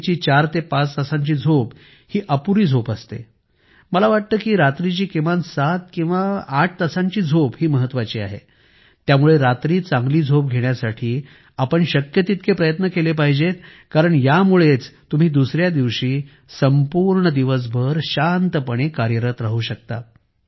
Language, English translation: Marathi, Do not start sleeping for four and five hours a night, I think seven or eight is a absolute minimum so we should try as hard as possible to get good night sleep, because that is when the next day you are able to get through the day in calm fashion